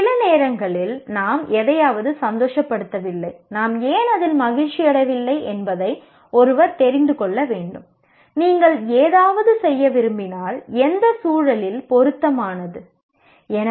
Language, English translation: Tamil, Sometimes if you are not happy with something, one needs to know why are we not happy with that and if you want to do something, is it appropriate in what context